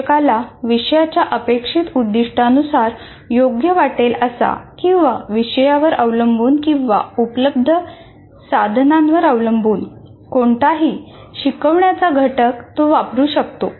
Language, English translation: Marathi, The teacher can make use of any of the instructional components he considers appropriate to the particular course outcome is addressing or based on the nature of the subject as well as the resources that he has and so on